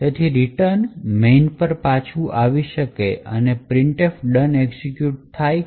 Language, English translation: Gujarati, Therefore, the return can come back to the main and printf done would get executed